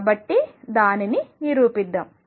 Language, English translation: Telugu, So, let us prove that